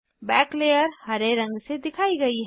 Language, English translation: Hindi, Back layer is represented by green colour